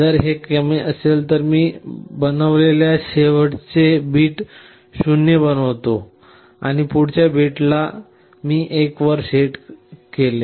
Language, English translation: Marathi, If it is less than, in the last bit which I had made 1, I make it 0 and the next bit I set to 1